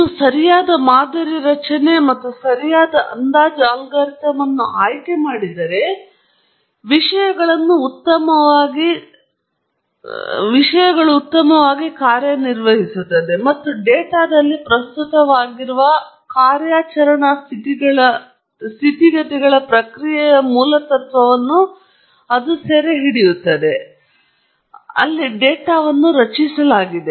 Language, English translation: Kannada, If you have chosen the right model structure, and right estimation algorithm, things will work out well, and it would have captured the essence of the process for the operating conditions that are present in a data, that is under which the data has been generated